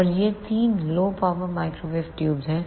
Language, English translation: Hindi, So, this is all about the microwave tubes